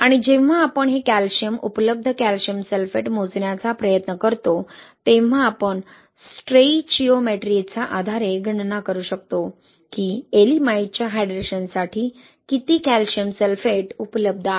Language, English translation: Marathi, And when we try to calculate this calcium, available calcium sulphate, right, we can calculate that based on the stoichiometry, we can calculate how much calcium sulphate is available for the hydration of Ye'elimite, right